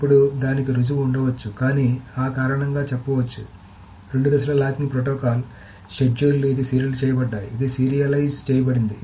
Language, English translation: Telugu, Now, there can be proof of it, but intuitively it can be said that the two phase locking protocol, the schedules, this is serialized